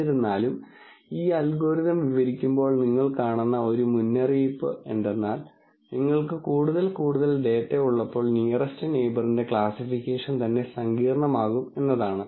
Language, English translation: Malayalam, However, a caveat is you will see as we describe this algorithm when you have more and more data, the classification of nearest neighbor itself, will become complicated